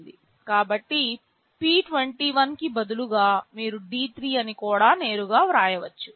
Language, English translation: Telugu, So, instead of p21 you can also write D3 straightaway